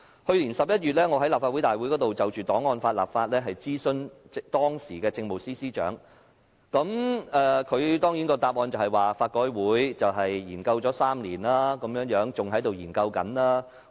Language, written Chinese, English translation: Cantonese, 去年11月，我在立法會會議上就檔案法的立法質詢當時的政務司司長，她的答覆當然是香港法律改革委員會已研究3年，現時仍在研究中。, In November last year I put a question to the then Chief Secretary for Administration on the enactment of an archives law at a meeting of the Legislative Council . In her reply she said that this issue which had been studied by the Law Reform Commission LRC for three years was still under study